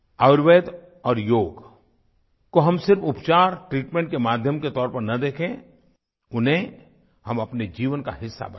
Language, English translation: Hindi, Do not look at Ayurveda and Yoga as a means of medical treatment only; instead of this we should make them a part of our life